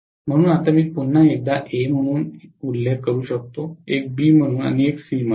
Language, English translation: Marathi, So now I can again mention one as A, one as B and one as C